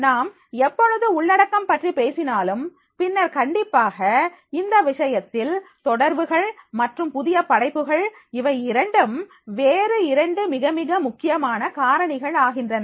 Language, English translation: Tamil, Whenever we are talking about the contents, then definitely in that case the connections and the creativity is other two factors are becoming, very, very important